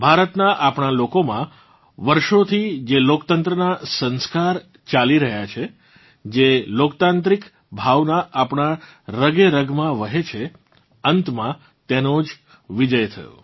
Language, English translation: Gujarati, For us, the people of India, the sanskars of democracy which we have been carrying on for centuries; the democratic spirit which is in our veins, finally won